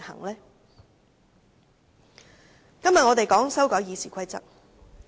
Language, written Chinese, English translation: Cantonese, 今天討論的是修改《議事規則》。, We are debating on the amendments to RoP today